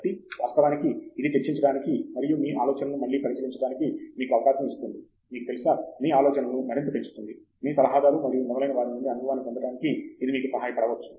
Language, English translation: Telugu, So, of course, this gives you an opportunity to discuss, to consider your ideas again, and maybe, you know, bounce your ideas of with your advisor and so on, and that may help you gain that experience